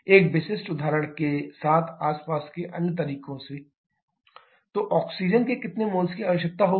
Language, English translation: Hindi, A typical example with from other way around with C8 H18 so to have complete combustion of this + O2 what we can have we shall be having 8CO2 + 9 H2O so how many moles of oxygen will be required